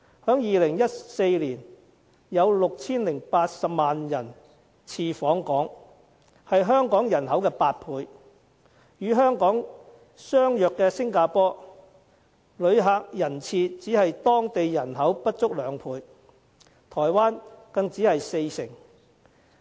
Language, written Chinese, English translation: Cantonese, 在2014年，有 6,080 萬人次訪港，是香港人口的8倍；與香港相似的新加坡，旅客人次只是當地人口不足兩倍，台灣更只是四成。, In 2014 the number of visitor arrivals was 60.8 million which was eight times the population of Hong Kong . In Singapore the situation of which was very similar to Hong Kong the number of visitor arrivals only accounted for less than two times of its population and in Taiwan the ratio was only 40 %